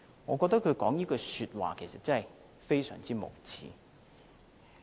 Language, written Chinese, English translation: Cantonese, 我覺得他說這句話，其實非常無耻。, I found it indeed utterly shameless of him to have made those remarks